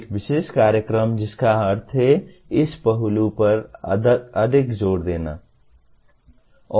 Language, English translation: Hindi, A particular program that means is emphasizing more on this aspect